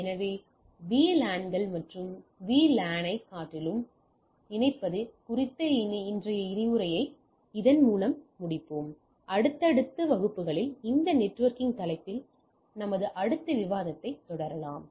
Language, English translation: Tamil, So, with this let us conclude today’s lecture on connecting LANs and VLANs we will be continuing our discussion on this networking topic in subsequent classes